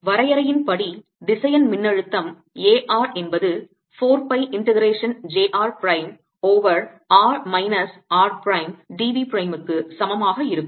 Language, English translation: Tamil, by definition, the vector potential a r will be equal to mu naught over four pi integration: j r prime over r minus r prime, d v prime